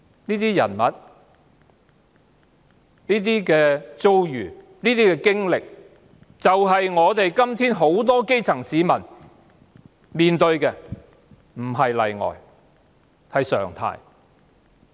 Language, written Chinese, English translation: Cantonese, 這些人物、遭遇、經歷是現今很多基層市民所面對的，上述個案不是例外，而是常態。, The experiences of these people are facing many grass - roots people today . The aforesaid cases are norms rather than exceptions